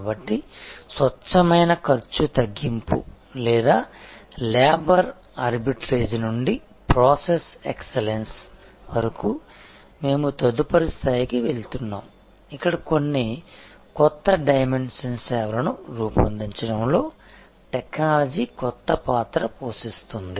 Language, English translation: Telugu, So, from pure cost reduction or labor arbitrage to process excellence to we are going to the next level, where technology will play a new part in creating some new dimension services